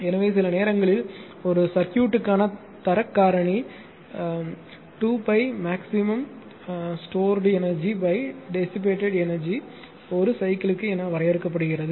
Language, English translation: Tamil, So, quality factor sometimes for a circuit is defined by 2 pi into maximum stored energy divided by energy dissipated per cycle right